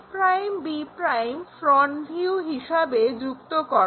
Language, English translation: Bengali, Then, join a' b' in the front view